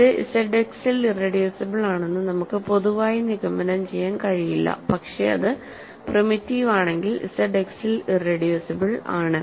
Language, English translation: Malayalam, We cannot conclude in general that it is irreducible in Z X, but if it is primitive, it is a irreducible in Z X